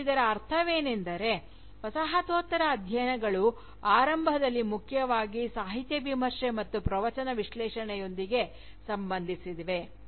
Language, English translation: Kannada, And, this has meant, that Postcolonial studies, had initially concerned primarily with Literature Criticism, and with Discourse Analysis